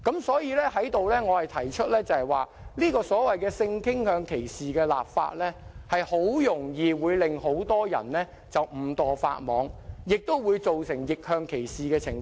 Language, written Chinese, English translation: Cantonese, 所以，我想在此提出，所謂性傾向歧視立法，很容易會令很多人誤墮法網，亦會造成逆向歧視的情況。, Therefore I wish to point out here that the enactment of legislation against discrimination on the ground of sexual orientation so to speak will easily cause many people to be inadvertently caught by the law and also result in reverse discrimination